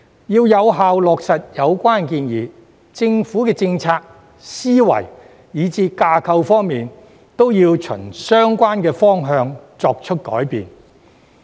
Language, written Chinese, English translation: Cantonese, 要有效落實有關建議，政府的政策、思維以至架構，都要循相關方向作出改變。, To effectively implement the relevant proposals the Governments policies mind - set and even structure must be changed in the directions concerned